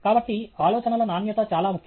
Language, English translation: Telugu, So, the quality of ideas is very, very important